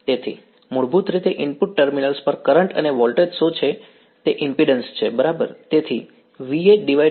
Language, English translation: Gujarati, So, basically what is the current and voltage at the input terminals that is the impedance right